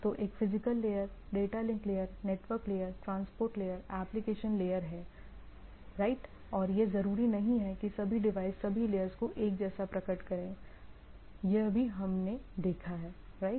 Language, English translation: Hindi, So, there is a physical layer, data link layer, network layer, transport layer, application layer, right and it is not necessarily all devices should manifest all the layers right, that also we have seen right